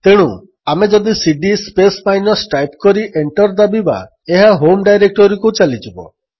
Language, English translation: Odia, So if we run cd space minus and press Enter, it will go to the home directory